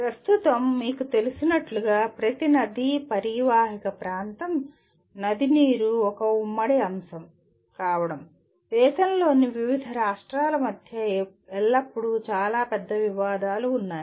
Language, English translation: Telugu, As you know at present, every river basin, being a, river water being a concurrent topic, there are always very major disputes between different states of the country